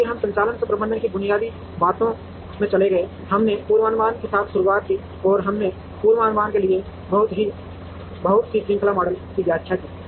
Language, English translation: Hindi, And then we moved into basics of operations management, we started with forecasting and we explained a lot of time series models for forecasting